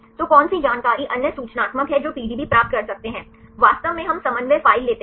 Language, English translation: Hindi, So, which information what are the other informational which can get the PDB, for actually we take the coordinate file